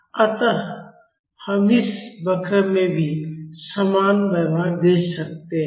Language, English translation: Hindi, So, we can see the same behavior in this curve also